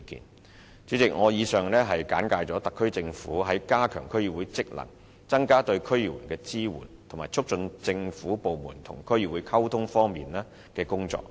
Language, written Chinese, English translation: Cantonese, 代理主席，我以上簡介了特區政府在加強區議會的職能、增加對區議員的支援，以及促進政府部門與區議會溝通方面的工作。, Deputy President I have briefly introduced the efforts of the Government in strengthening the functions of DCs enhancing the support for DC members and promoting the communication between government departments and DCs